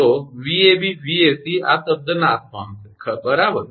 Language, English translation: Gujarati, So, Vab Vac this term will vanish right